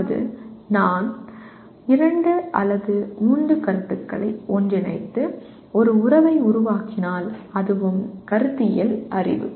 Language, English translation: Tamil, That means if I combine two or three concepts and create a relationship that is also conceptual knowledge